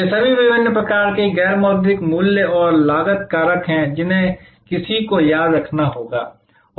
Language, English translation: Hindi, These are all different types of non monitory price and cost factors, which one will have to remember